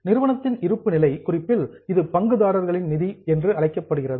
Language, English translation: Tamil, In company balance sheet it is called as shareholders funds